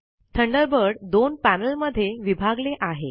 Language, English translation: Marathi, Thunderbird is divided into two panels